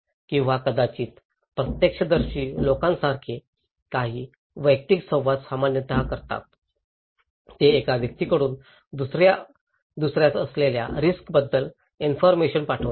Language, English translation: Marathi, Or maybe, some personal interactions like eyewitness people generally do, they pass the informations about risk from one person to another